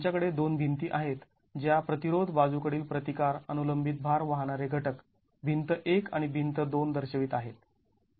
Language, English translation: Marathi, We have two walls which are representing the resisting, lateral resisting vertical load carrying elements, wall one and wall two